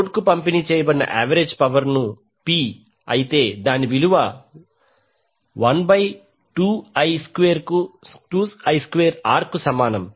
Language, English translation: Telugu, The average power delivered to the load can be written as P is equal to 1 by 2 I square R